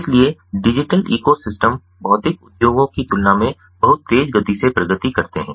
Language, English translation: Hindi, so digital ecosystems progress at much faster rate than the physical industries